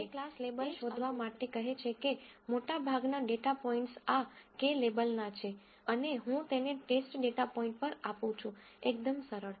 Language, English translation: Gujarati, So, it says to find the class label that the majority of this k label data points have and I assign it to the test data point, very simple